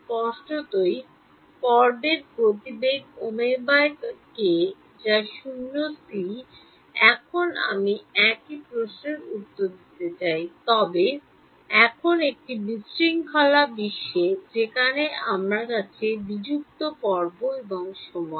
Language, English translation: Bengali, Obviously, the phase velocities omega by k which is c in vacuum; now, I want to answer the same question, but now on a in a discrete world where I have discretized phase and time